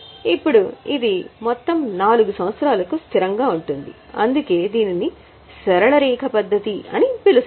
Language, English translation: Telugu, Now, this remains constant for all the 4 years, that's why it is called as a straight line method